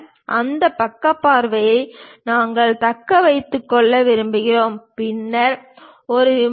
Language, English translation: Tamil, We want to retain that side view, then this is the plane